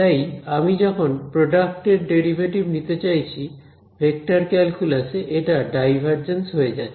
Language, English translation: Bengali, So, when I want to take the derivative of the product the in vector calculus it becomes divergence right